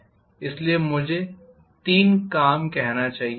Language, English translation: Hindi, Rather I should say three tasks